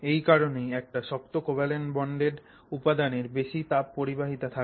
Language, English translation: Bengali, So, that is why a very strongly bonded, covalently bonded material has very high thermal conductivity